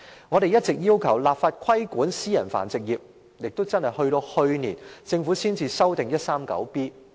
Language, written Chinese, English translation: Cantonese, 我們一直要求立法規管私人繁殖業，而政府直至去年才修訂第 139B 章。, We had been calling for enacting legislation to regulate the private breeding trade all along and it was not until last year that the Government amended Cap . 139B